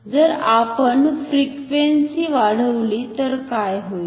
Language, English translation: Marathi, So, let us see what happens if we increase the frequency